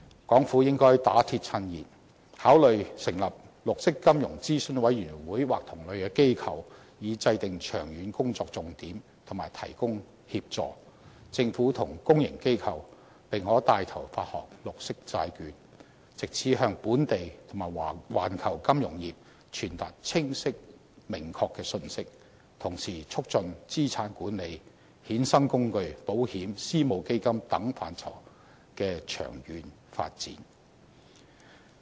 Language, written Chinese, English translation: Cantonese, 港府應該打鐵趁熱，考慮成立綠色金融諮詢委員會或同類機構，以制訂長遠工作重點及提供協助，政府及公營機構並可牽頭發行綠色債券，藉此向本地及環球金融業傳達清晰明確的信息，同時促進資產管理、衍生工具、保險、私募基金等範疇的長遠發展。, The Hong Kong Government should make hay while the sun shines consider establishing a Green Finance Advisory Council or other similar bodies for the formulation of ongoing focus and provision of assistance . The Government and public organizations can take the lead in issuing green bonds so as to send a clear signal to the financial industry locally and globally and promote long - term development in areas such as asset management derivatives insurance and private equity fund